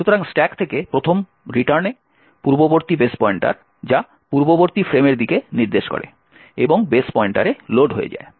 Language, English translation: Bengali, So, on the first return from the stack the previous base pointer which is pointing to the previous frame gets loaded into the base pointer and therefore we would get the new fact frame